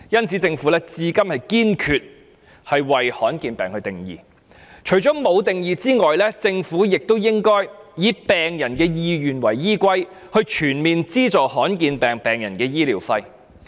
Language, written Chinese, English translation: Cantonese, 政府至今沒有為罕見疾病下定義，它應該以病人的意願為依歸，全面資助罕見疾病患者的醫療費。, To date the Government has not provided any definition on rare diseases . It should comprehensively subsidize the medical fees of rare disease patients in their interests